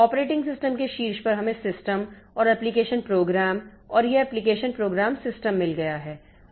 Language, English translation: Hindi, On top of operating system, we have got system and application programs